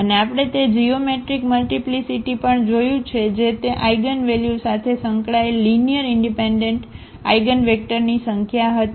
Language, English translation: Gujarati, And we have also seen the geometric multiplicity that was the number of linearly independent eigenvectors associated with that eigenvalue